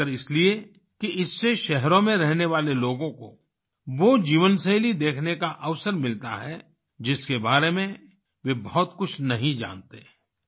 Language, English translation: Hindi, Specially because through this, people living in cities get a chance to watch the lifestyle about which they don't know much